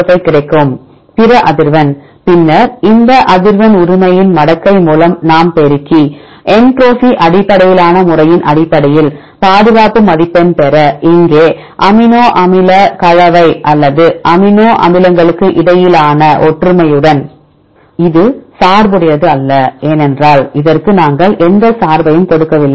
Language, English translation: Tamil, 05; other frequency, then the frequency we multiplied with the logarithmic of this frequency right to get the conservation score based on entropy based method here this is not biased with the amino acid composition or similarities among amino acids, because we do not give any bias for this